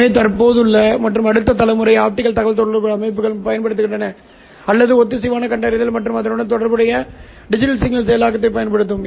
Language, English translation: Tamil, So, all present and the next generation optical communication systems are using or are, will use coherent detection and corresponding digital signal processing